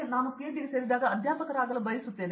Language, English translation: Kannada, So, it is decided when I was joining for PhD I want to become a faculty